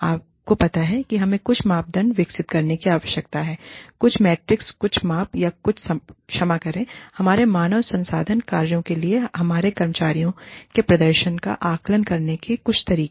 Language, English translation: Hindi, What is, you know, we need to develop, some criteria, some metrics, some measurements of, or some, sorry, some ways of assessing, quantifying, the performance of our employees, for our HR functions